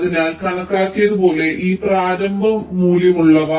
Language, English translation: Malayalam, so these with these initial values, as have calculated